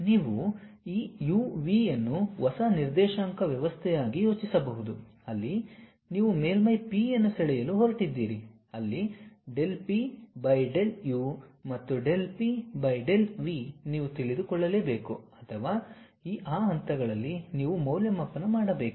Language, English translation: Kannada, You can think of this u, v as the new coordinate system on which you are going to draw a surface P where del P by del u and del P by del v you need to know or you have to evaluate at that points